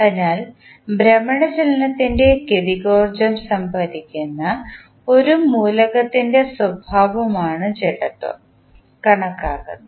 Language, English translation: Malayalam, So, inertia is considered as the property of an element that stores the kinetic energy of the rotational motion